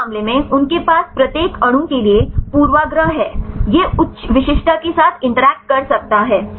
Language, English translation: Hindi, In this case they have the bias right to each molecule it can interact with high specificity